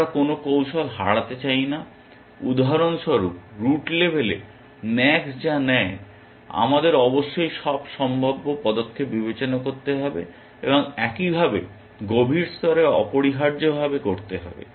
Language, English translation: Bengali, We want to not miss out on any strategies so, for example, at the root level, we must consider all possible moves that max makes, and likewise at deeper levels essentially